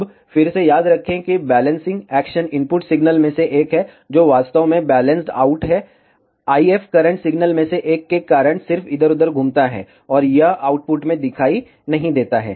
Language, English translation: Hindi, Now, again remember the balancing action is one of the input signal is actually balanced out, the IF currents because of one of the signal just circulates around here, and it does not appear in the output